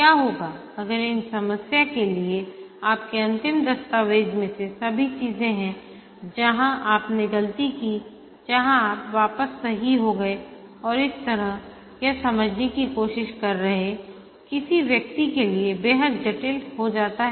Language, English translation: Hindi, But if your final document for this problem has all these things where you did mistake, where you went back back, corrected and so on, then it becomes extremely complicated for somebody trying to understand